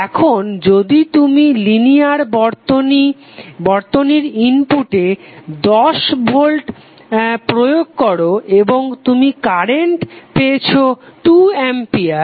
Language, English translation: Bengali, Now if you have applied 10 volt to the input of linear circuit and you got current Is 2 ampere